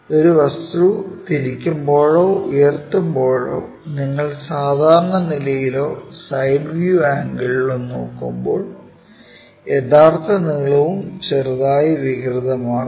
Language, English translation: Malayalam, When an object is rotated, lifted and so on so things, when you are looking either normal to it or side view kind of thing these angles and also the true lengths are slightly distorted